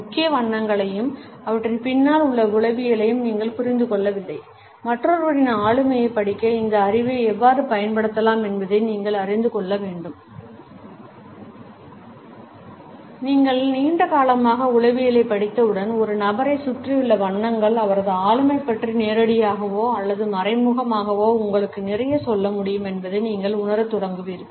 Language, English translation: Tamil, Neither you understand the major colors and the psychology behind them, you should know how this knowledge can be used to read another person’s personality Once you have studied psychology long enough, you will start to realize that the colors surrounding a person can directly or indirectly tell you a lot about his personality